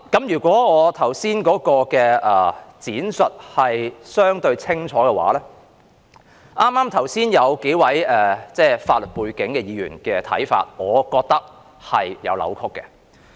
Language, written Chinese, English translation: Cantonese, 如果我剛才的闡述是相對清楚的話，對於剛才數位具法律背景的議員提出的看法，我覺得是有扭曲的。, If I have made myself relatively clear in my explanation earlier I would say that the views put forward earlier by a number of Members with a legal background are tantamount to distortions